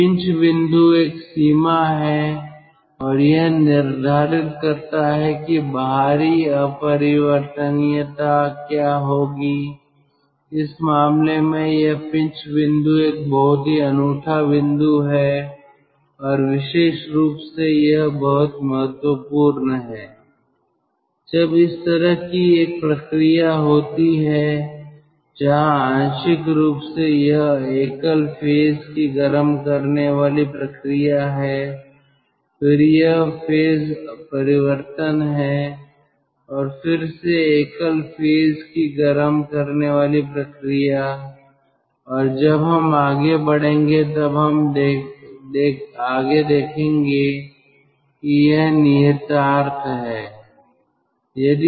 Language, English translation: Hindi, in this case, this pinch point is a very unique point and particularly it is very important when there is a process like this where partially it is single phase heating, then it is phase change and then again single phase heating, and we will see its further implication when we will proceed